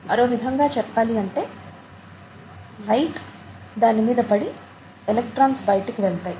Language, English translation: Telugu, In other words, light falls on it, and electrons go out of it